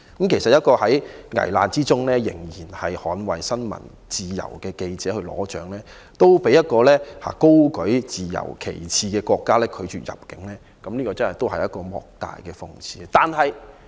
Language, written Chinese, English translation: Cantonese, 其實，一個在危難之中仍然捍衞新聞自由的記者去領獎，都被一個高舉自由旗幟的國家拒絕入境，這是一個莫大的諷刺。, In fact it is a great irony that a journalist who upholds press freedom in dire peril cannot enter the country which upholds the banner of freedom to receive an award